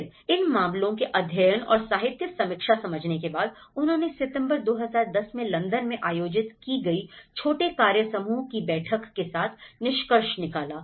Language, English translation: Hindi, Then, following these case studies and relating to the literature review, they also ended up, they concluded with the kind of small working group meeting which has been held in London in September 2010